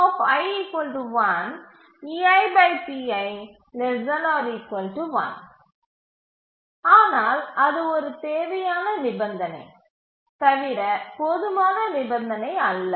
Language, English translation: Tamil, But that was a necessary condition, not the sufficient condition